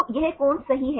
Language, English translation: Hindi, So, this is the angle right